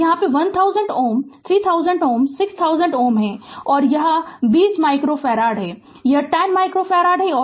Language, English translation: Hindi, So, this is 1000 ohm, 3000 ohm, 6000 ohm, and this is 20 micro farad, this is 10 micro farad